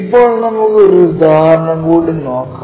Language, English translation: Malayalam, Let us take an example